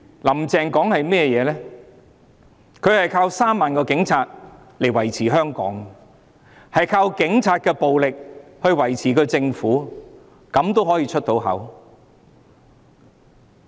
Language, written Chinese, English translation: Cantonese, "林鄭"說她依靠3萬名警察來維持香港的治安，靠警察的暴力來維持政府的運作。, Carrie LAM said she relied on the 30 000 - strong Police Force to maintain law and order in Hong Kong and to maintain the operation of the Government with police brutality